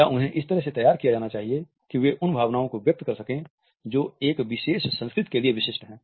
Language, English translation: Hindi, Or should they be tailored to express emotions in such a manner which are a specific to a particular culture